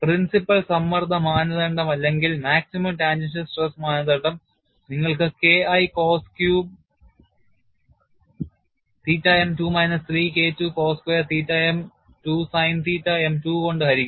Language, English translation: Malayalam, The principle stress criterion or maximum tangential stress criterion you have K1 cos cube theta m divided by 2 minus 3 K2 cos square theta m divided by 2 sin theta m divided by 2 if it is equal to K1 c, then crack initiation would occur